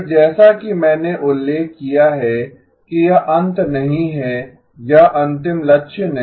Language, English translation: Hindi, Again, as I mentioned this is not the end of the or this is not the end goal